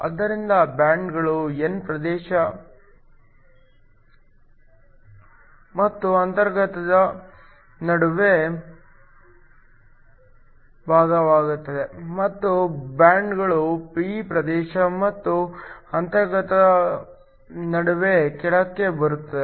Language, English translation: Kannada, So, the bands bend up between the n region and the intrinsic and the bands bend down between the p region and the intrinsic let me just mark